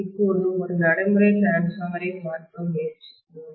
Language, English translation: Tamil, Now, let us try to take a look at a practical transformer